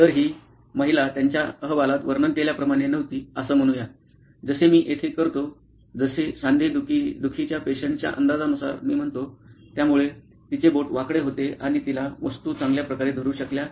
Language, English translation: Marathi, So, this lady as described in their report, was, not did not have, let us say straight figures like I do here, what I guess an arthritic patient, so her fingers were crooked and she could not hold on to objects very well